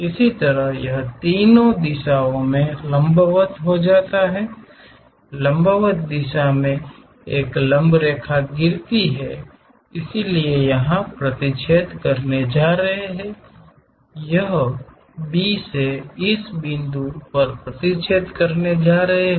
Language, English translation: Hindi, Similarly it goes intersect there from 3 drop a perpendicular line in the vertical direction so it is going to intersect here, it is going to intersect at this point from B